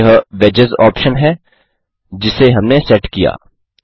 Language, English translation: Hindi, This is the Wedges option that we set